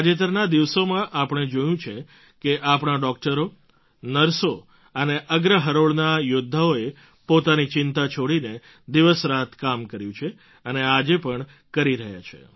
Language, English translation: Gujarati, We've seen in the days gone by how our doctors, nurses and frontline warriors have toiled day and night without bothering about themselves, and continue to do so